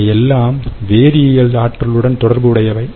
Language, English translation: Tamil, all right, this is chemical energy storage